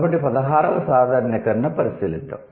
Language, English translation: Telugu, So, that is the 16th generalization